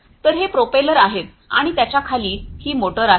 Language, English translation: Marathi, So, this is this propeller and below it is this motor right